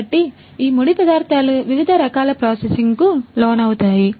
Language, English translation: Telugu, So, these raw materials undergo different types of processing